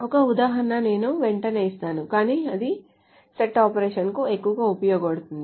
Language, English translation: Telugu, An example I will give immediately but this is mostly useful for set operations